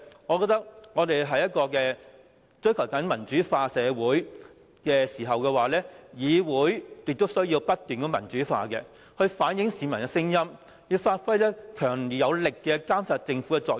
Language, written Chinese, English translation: Cantonese, 我覺得香港是一個追求民主的社會，議會亦需要不斷民主化以反映市民的聲音，發揮強而有力監察政府的作用。, In my view since Hong Kong is a society pursuing democracy our Council also needs to keep on democratizing itself to reflect public voices and to exercise its function of monitoring the Government fully and effectively